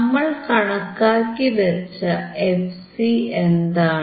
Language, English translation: Malayalam, What is the fc that we have calculated